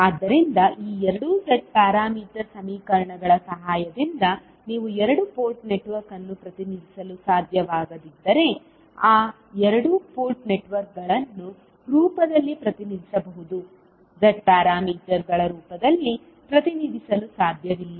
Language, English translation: Kannada, So, if you cannot represent the two port network with the help of these two Z parameter equations it means that those two port networks can be represented in the form of, cannot be represented in the form of Z parameters